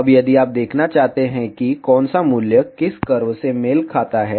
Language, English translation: Hindi, Now, if you want to see which value, corresponds to which curve